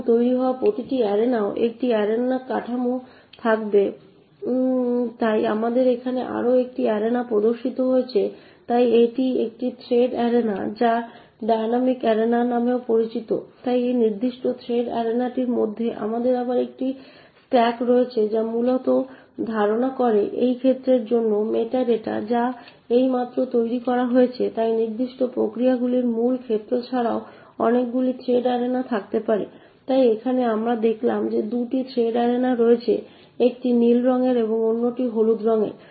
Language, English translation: Bengali, Now every other arena that gets created would also have an arena structure, so we have another arena displayed over here so this is a thread arena also known as dynamic arena, so within this particular thread arena we again have a struck malloc state which essentially contains the meta data for this arena that has just got created, so in addition to the main arena of particular process could also have many thread arenas, so over here we have actually shown there are 2 thread arenas one in blue color and the other one in yellow, so each thread arena is allocated to a particular thread in that process, so the thread arena is also known as the dynamic arena